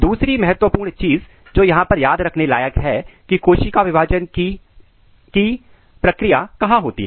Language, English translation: Hindi, Another important thing which is worth to note down here is that where this process of cell division occurs